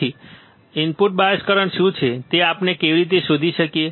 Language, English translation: Gujarati, Hence, what how can we find what is the input bias current